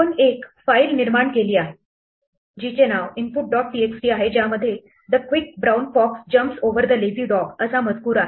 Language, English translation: Marathi, We have created a file called input dot txt which consist of a line, the quick brown fox jumps over the lazy dog